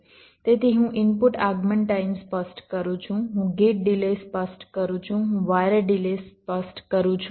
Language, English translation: Gujarati, so i specify the input arrival times, i specify the gate delays, i specify the wire delays